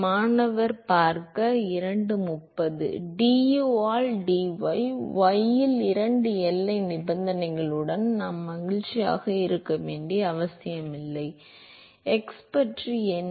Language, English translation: Tamil, du by dy we do not need that we are happy with two boundary condition on y what about x